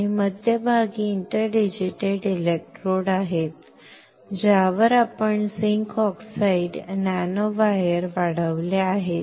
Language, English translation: Marathi, And in center there are interdigitated electrodes on which we have grown zinc oxide nanowires